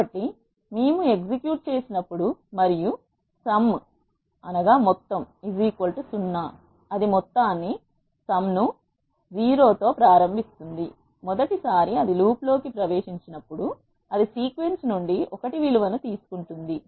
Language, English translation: Telugu, So, when we execute and sum is equal to 0 it will initialize the sum to 0, for the first time it enters into the loop it will take value of 1 from the sequence